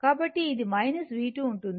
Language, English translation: Telugu, So, it will be my v, right